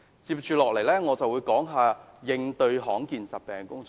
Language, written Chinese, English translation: Cantonese, 我接下來會談談應對罕見疾病的工作。, Now I will speak on the work to address rare diseases